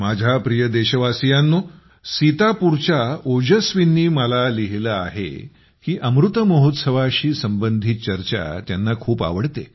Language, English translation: Marathi, Ojaswi from Sitapur has written to me that he enjoys discussions touching upon the Amrit Mahotsav, a lot